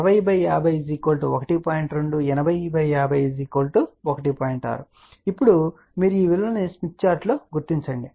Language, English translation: Telugu, 6, now you locate this value on the smith chart